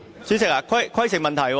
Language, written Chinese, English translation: Cantonese, 主席，規程問題。, President a point of order